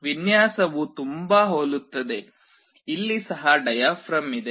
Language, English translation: Kannada, The design is very similar; here also there is a diaphragm